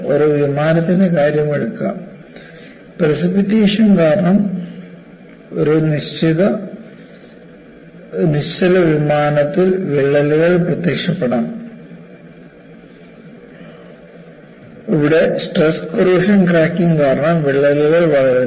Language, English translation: Malayalam, So, take the case of an aircraft; cracks may appear in a stationary aircraft due to rain, and here the crack grows, because of stress corrosion cracking